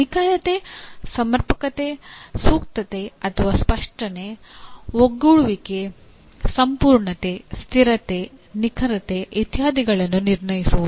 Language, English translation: Kannada, Judging the accuracy, adequacy, appropriateness or clarity, cohesiveness, completeness, consistency, correctness etc